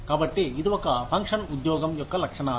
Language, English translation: Telugu, So, this is a function of the characteristics of the job